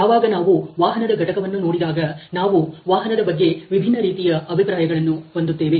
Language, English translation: Kannada, When we look into an automotive unit, we will have different views of the automobile